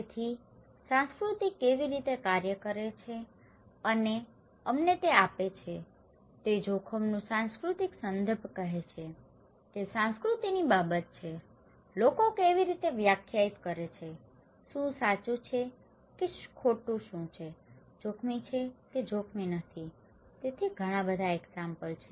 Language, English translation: Gujarati, So thatís how culture works and gives us so, cultural context of risk is saying that culture matters, how people define, what is right or wrong, what is risky or not risky and in so, there are many examples